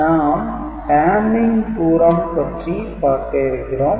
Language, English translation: Tamil, So, we shall discuss Hamming distance